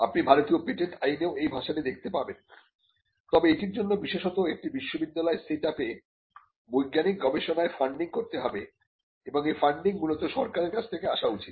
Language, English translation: Bengali, You will find this language in the Indian patents Act as well, but for this to happen especially in a university set up, there has to be funding in scientific research and the funding should predominantly come from the government